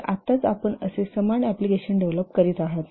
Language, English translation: Marathi, So now you are developing a similar application right now